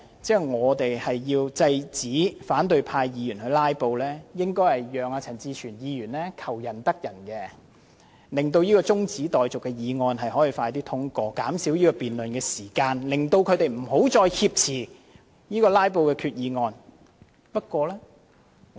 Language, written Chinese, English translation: Cantonese, 如果我們想制止反對派"拉布"，便應讓陳志全議員求仁得仁，盡快通過他提出的中止待續議案，減少辯論時間，使他們不要再藉"拉布"挾持決議案。, If we want to stop filibustering by the opposition camp we should let Mr CHAN Chi - chuen get what he wanted and pass the adjournment motion moved by him as soon as possible such that the discussion time can be shortened and they cannot hijack the resolution for the sake of filibustering